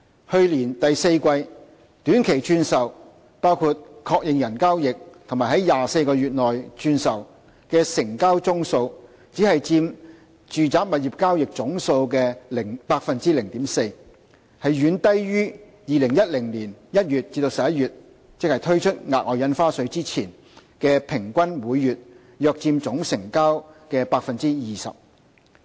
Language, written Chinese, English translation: Cantonese, 去年第四季，短期轉售，包括確認人交易和在24個月內轉售的成交宗數只佔住宅物業交易總數的 0.4%， 遠低於2010年1月至11月，即推出額外印花稅前的數字，即平均每月約佔總成交 20%。, Short - term resale including confirmor transactions and resale within 24 months accounted for only 0.4 % of total residential property transactions in the fourth quarter last year well below the monthly average of about 20 % of total transactions in January to November 2010 ie . the period before the introduction of SSD